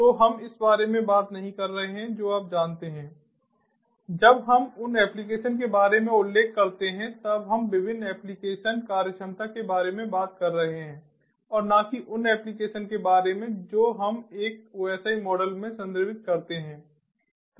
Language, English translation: Hindi, when we mention about applications, we are talking about the different application functionality, ah, and not simply the applications that we used to refer to in a osi model